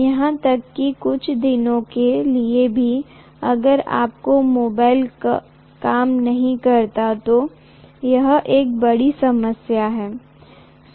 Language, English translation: Hindi, Even for a few days if your mobile does not work, it is a big problem